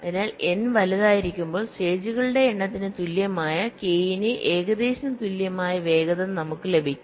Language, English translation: Malayalam, so when n is large we can get us speed up, which is approximately equal to k, equal to number of stages